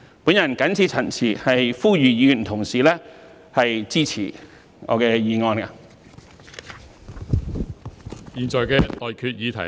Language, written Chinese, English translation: Cantonese, 我謹此陳辭，呼籲議員同事支持我的議案。, With these remarks I call on Members to support my motion